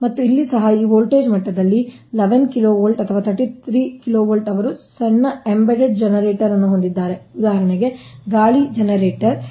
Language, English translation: Kannada, and here also, at this voltage level, eleven kv or thirty three kv, they have small embedded generator, for example wind generators